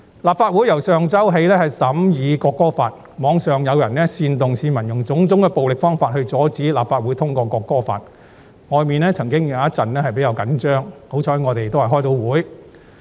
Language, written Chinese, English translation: Cantonese, 立法會由上周起審議《條例草案》，網上有人煽動市民用種種暴力方法來阻止立法會通過《條例草案》，外面曾出現了一陣子比較緊張的情況，幸好我們能如期開會。, Since the Council commenced the scrutiny of the Bill last week some people has been inciting others online to obstruct the passage of the Bill by various violent means causing some tense moments outside . Fortunately the meeting could be held as scheduled